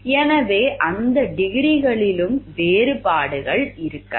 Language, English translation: Tamil, So, there could be differences in that degrees also